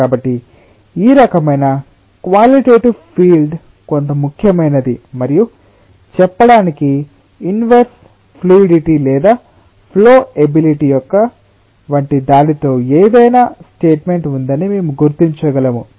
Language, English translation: Telugu, so this type of qualitative feel is somewhat important and we can clearly recognize that ah the statement that it it has something to do with like inverse of fluidity or flowability, so to say